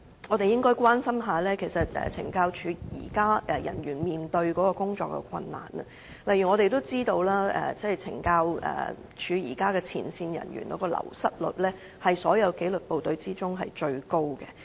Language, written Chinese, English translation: Cantonese, 我們應該反過來關心懲教人員現在面對的工作困難，例如我們知道，前線懲教人員的流失率是所有紀律部隊中最高。, We should instead show concern about the existing difficulties faced by CSD staff at work . For example as we know the wastage rate of front - line CSD staff is the highest in all disciplined forces and their wastage problem is actually very acute